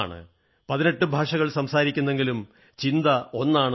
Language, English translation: Malayalam, She speaks 18 languages, but thinks as one